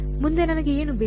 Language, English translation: Kannada, Next what do I need